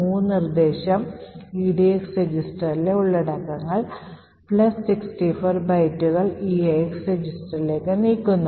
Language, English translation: Malayalam, The mov instruction moves the contents of edx register plus 64 bytes into the eax register